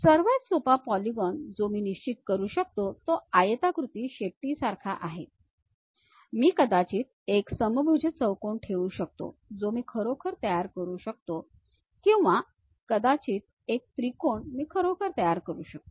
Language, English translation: Marathi, The easiest polygon what I can really fix is something like a tail, a rectangular tail I can put maybe a rhombus I can really construct or perhaps a triangle I can really construct